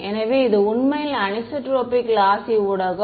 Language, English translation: Tamil, So, this is actually anisotropic lossy medium right